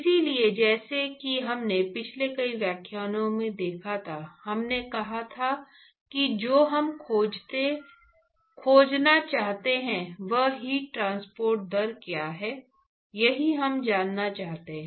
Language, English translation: Hindi, So, as we observed in the last several lectures, we said that what what we want to really find is what is the heat transport rate, that is what we want to find